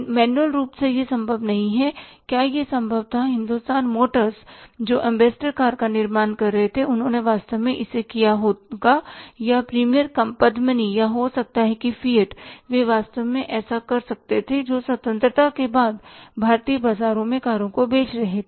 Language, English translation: Hindi, Here Hindustan motors who were manufacturing ambassador car they would have really done it or the Premier Padmania or maybe that fiat they could have really done it who were selling the cars in Indian market since independence